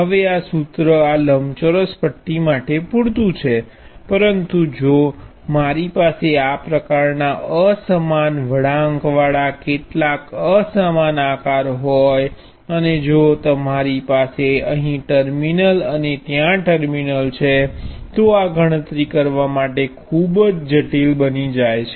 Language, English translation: Gujarati, Now, this formula is symbol enough for a rectangular bar like this, but if I had something uneven some uneven shape like this with curves and so on and I have a terminal here and the terminal there, it becomes quite complicated to carry out this calculation